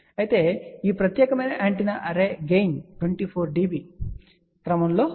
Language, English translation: Telugu, So, gain for this particular antenna array is of the order of 24 dB